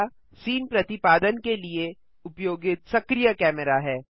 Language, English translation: Hindi, Camera is the active camera used for rendering the scene